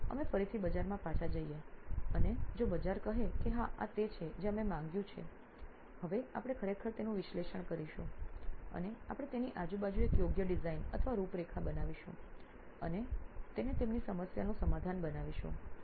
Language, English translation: Gujarati, So we again go back to the market and if market says yes this is what we asked for, now we are going to actually analyse and we are going to make a proper design or an outline around it and make it a solution to their problem